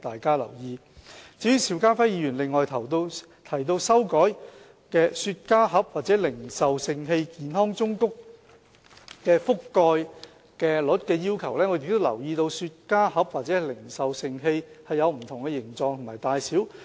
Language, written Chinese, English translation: Cantonese, 至於邵家輝議員提到修改雪茄盒或零售盛器健康忠告的覆蓋率的要求，我們亦留意到雪茄盒或零售盛器有不同的形狀及大小。, As to Mr SHIU Ka - fais proposal to change the requirement for the coverage of the health warnings on cigar boxes or retail containers we are also aware that cigar boxes or retail containers come in different shapes and sizes